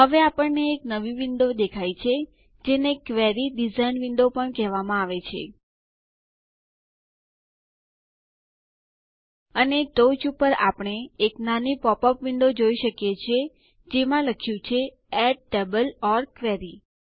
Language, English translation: Gujarati, We now see a new window which is also called the Query Design window, And we also see a small popup window at the top, that says Add Table or Query